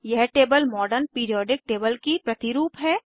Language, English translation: Hindi, This table is a replica of Modern Periodic table